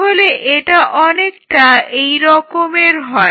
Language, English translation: Bengali, So, it will be a something like this